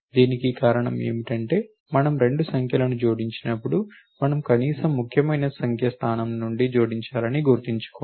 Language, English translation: Telugu, The reason for being this is that when we add 2 numbers remember we have to add from the least significant number position